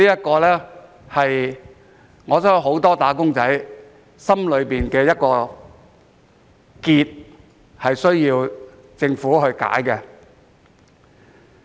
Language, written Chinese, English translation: Cantonese, 我相信這是很多"打工仔"心底的一個結，需要政府來解開。, I believe this is a knot in the hearts of many wage earners that needs to be untied by the Government